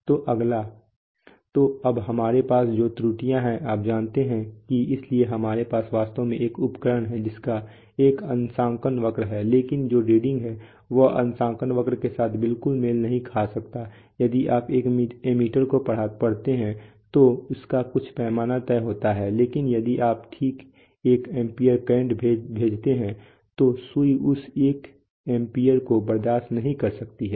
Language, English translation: Hindi, So next, so now the errors that we have, you know, that, so we have actually typically an instrument is supposed to have a ,supposed to have a calibration curve but the reading that it has may not exactly match with the calibration curve it is if you read out an ammeter then it has some scale fixed but if you send exactly one ampere current then the then the needle may not stand that one ampere